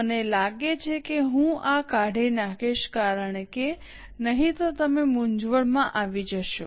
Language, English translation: Gujarati, I think I will delete this because otherwise you will get confused